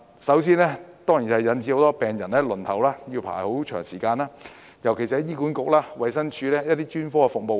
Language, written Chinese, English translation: Cantonese, 首先，當然是引致很多病人輪候時間太長，尤其是醫院管理局和衞生署的專科服務。, The first problem caused is certainly the excessively long waiting time for many patients particularly for specialist services of the Hospital Authority and the Department of Health